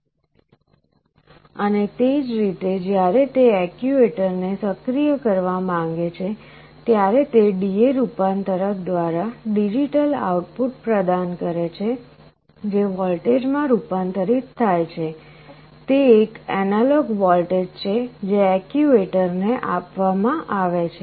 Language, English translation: Gujarati, And similarly when it wants to activate the actuator it provides with a digital output which through a D/A converter it is converted into a voltage; it is a analog voltage that is fed to an actuator